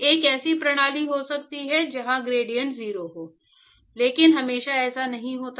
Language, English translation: Hindi, Of course, there can be a system where gradient is 0, but that is not always the case